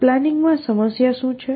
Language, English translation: Gujarati, So, what is the planning problem